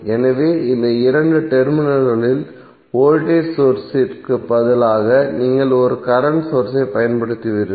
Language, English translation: Tamil, So instead of voltage source across these two terminals you will apply one current source